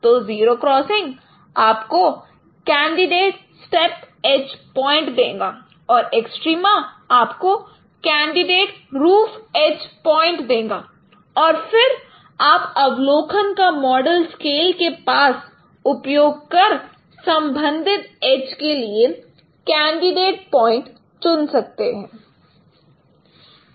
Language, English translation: Hindi, So, zero crossings they would give you the candidate stage age points and extrema would give you the candidate roof edge points and then use the analytical models across scales to select candidate points for respective ages